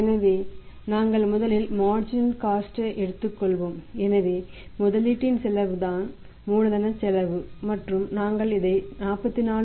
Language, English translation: Tamil, So, we have taken the marginal cost first so cost of the investment is the cost of capital and we are investing this one 44